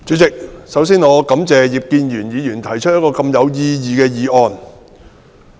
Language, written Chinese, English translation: Cantonese, 主席，首先，我感謝葉建源議員動議如此有意義的議案。, President first of all I would like to thank Mr IP Kin - yuen for moving such a meaningful motion